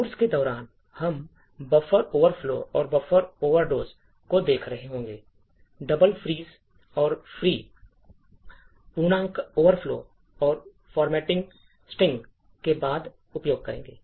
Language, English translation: Hindi, So, we will be looking at during the course at buffer overflows and buffer overreads, heaps double frees and use after free, integer overflows and format string